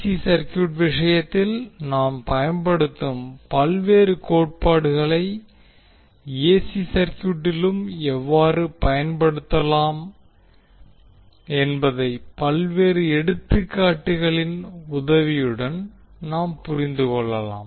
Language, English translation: Tamil, So what we will do, we will take the help of various examples to understand how the various theorems which we use in case of DC circuit can be utilized in AC circuit as well